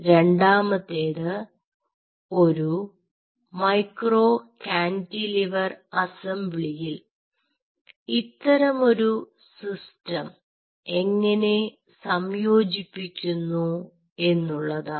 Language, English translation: Malayalam, the problem is statement two is how to integrate this system on a micro cantilever assembly